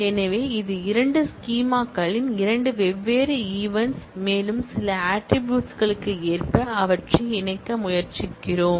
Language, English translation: Tamil, So, it is two different instances of two schemas and we try to connect them according to certain properties